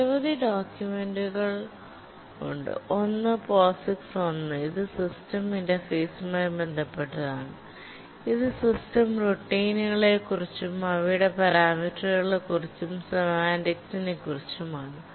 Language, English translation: Malayalam, One is POGICs 1 which deals with system interface, that is what are the system routines and what are their parameters and the semantics what it does